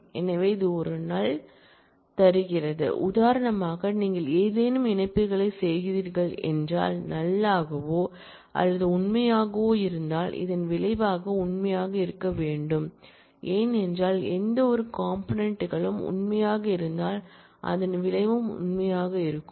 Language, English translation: Tamil, So, it returns a null, if you are doing any connectives for example, if you are doing or of null or true, then the result should be true because, in or we say that if any of the components is true then the result is true